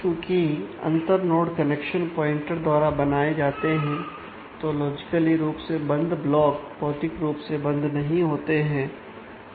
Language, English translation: Hindi, So, since the inter node connections are done by pointers, “logically” closed blocks are not “physically” close